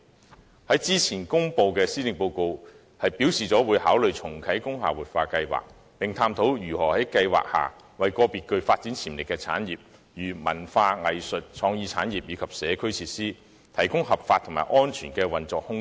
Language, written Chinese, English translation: Cantonese, 政府先前公布的施政報告表示，會考慮重啟工廈活化計劃，並探討如何在計劃下為個別具發展潛力的產業——例如文化、藝術、創意產業——以及社區設施，提供合法及安全的運作空間。, In the Policy Address released earlier the Government has stated that it will consider restarting the revitalization scheme for industrial buildings and explore ways to provide under the scheme legal and safe room for the operation for some industries with development potential―such as cultural arts and creative industries―and community facilities